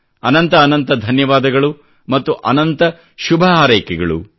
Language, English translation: Kannada, Many many thanks, many many good wishes